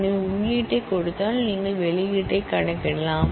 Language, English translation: Tamil, So, that given the input, you can compute the output